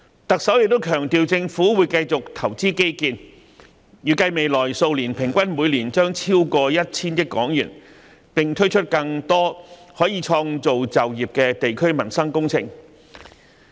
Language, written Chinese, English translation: Cantonese, 行政長官亦強調政府會繼續投資基建，預計未來數年將每年平均投資超過 1,000 億港元，並推出更多可創造就業的地區民生工程。, The Chief Executive has also emphasized that the Government will continue to invest in infrastructure with an estimated annual expenditure of over 100 billion on average in the next few years and will launch more district - based livelihood projects which can create jobs